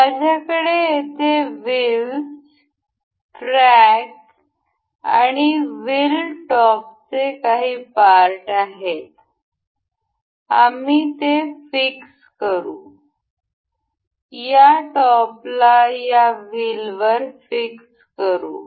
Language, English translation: Marathi, I here have some parts that is wheel, a track and wheel top; we will just fix it, fix this top to this wheel